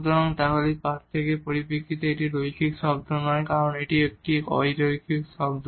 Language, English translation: Bengali, So, then this is not the linear term in terms of this difference it is a non linear term here